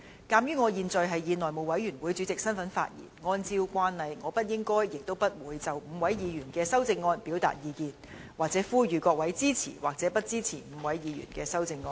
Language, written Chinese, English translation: Cantonese, 鑒於我現在是以內務委員會主席身份發言，按照慣例，我不應該亦不會就5位議員的修正案表達意見或呼籲議員支持或不支持這些修正案。, Since I am now speaking in my capacity as Chairman of the House Committee in accordance with the established practice I should not and will not express any views on the amendments of the five Members or urge Members to support or not to support the amendments of the five Members